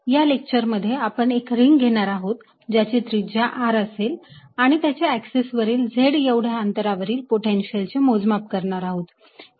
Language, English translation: Marathi, in this lecture we take a ring of radius r and calculate the potential on its axis at a distance, z